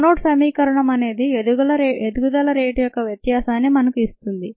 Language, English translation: Telugu, the monad equation give us the variation of growth rate